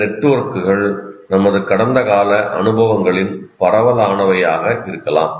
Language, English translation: Tamil, These networks may come from wide range of our past experiences